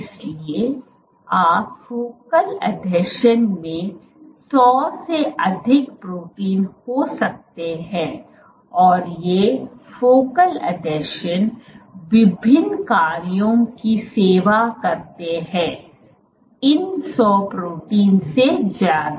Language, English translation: Hindi, So, you can have more than 100 proteins localized at focal adhesion and the focal adhesions serve various functions more than 100 proteins